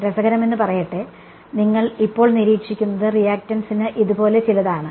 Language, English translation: Malayalam, Interestingly what you observe now is something like this for the reactance